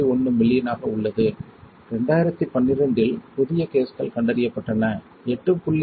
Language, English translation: Tamil, 1 million, new cases were diagnosed in 2012, 8